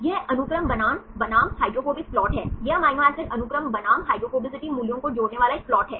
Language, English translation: Hindi, This is sequence versus hydrophobic plot, this is a plot connecting amino acid sequence versus hydrophobicity values